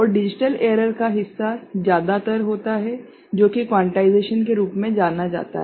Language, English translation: Hindi, And digital part error is related to quantization